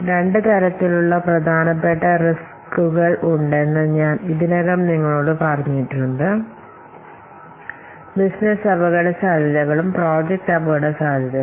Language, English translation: Malayalam, I have already told you that there are two kinds of important projects, business risks and what are the project risks